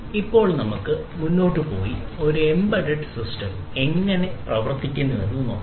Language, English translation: Malayalam, So, now let us move forward and see how an embedded system works